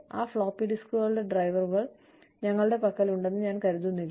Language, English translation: Malayalam, I do not think, we have drivers, for those floppy disks